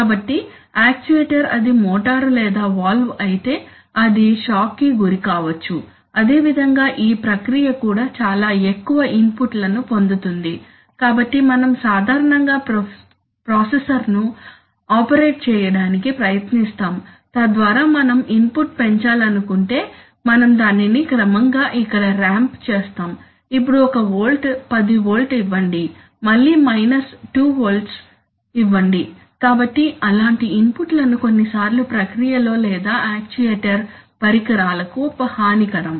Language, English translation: Telugu, So the actuator if it is a motor or if it is a valve will it might get a shock similarly the process also will get a very, will tend to get very high inputs so this shock that is we normally try to operate the processor, so that we if we want to increase the input we ramp it up gradually here on give an input 1 volt now 10 volt then again minus 2 volts so such inputs are sometimes detrimental to the equipment either in the process or to the to the actuator equipment